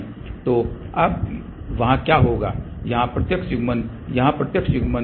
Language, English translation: Hindi, So, what will happen there will be now, direct coupling here direct coupling here